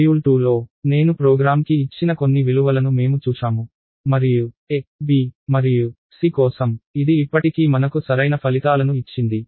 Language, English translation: Telugu, So, this is just a show you that in module 2, we looked at some values that I gave to the program and for a, b and c it still gave me correct results